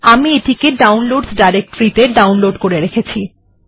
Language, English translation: Bengali, I have downloaded it in my downloads directory